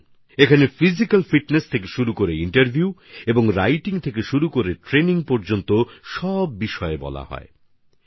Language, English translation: Bengali, The training touches upon all the aspects from physical fitness to interviews and writing to training